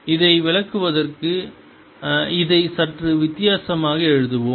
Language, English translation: Tamil, to interpret this, let us write it slightly differently